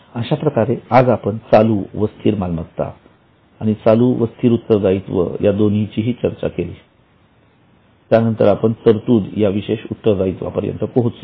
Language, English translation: Marathi, So, today we have discussed both current non current assets, then current non current liabilities, and we have come up to some specific liability which is called as provision